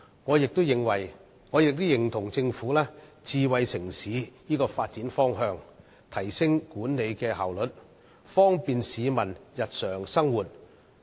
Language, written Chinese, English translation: Cantonese, 我也認同政府發展智慧城市的方向，以提升管理效率，方便市民日常生活。, I agree with the Governments direction of developing into a smart city to enhance management efficiency and the convenience of the public in their daily life